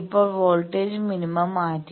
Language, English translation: Malayalam, Now, the voltage minima is shifted